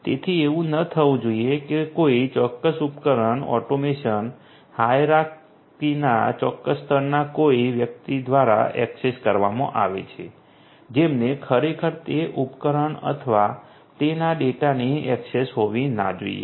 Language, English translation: Gujarati, So, you know it should not happen that a particular device gets accessed by someone in the in certain level of the automation hierarchy who should not actually have access to that device or it’s data